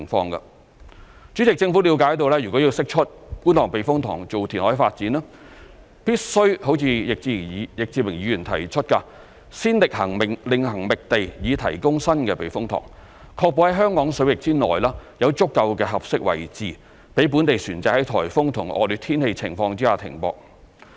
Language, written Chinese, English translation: Cantonese, 代理主席，政府了解，若要釋出觀塘避風塘作填海發展，必須如易志明議員提出，先另行覓地以提供新避風塘，確保在香港水域內有足夠的合適位置供本地船隻在颱風和惡劣天氣情況下停泊。, Deputy President the Government understands that if the Kwun Tong Typhoon Shelter is to be released for reclamation development it must first identify another site for the provision of a new typhoon shelter as proposed by Mr Frankie YICK so as to ensure that there will be sufficient suitable locations within the Hong Kong waters for local vessels to berth during typhoon and inclement weather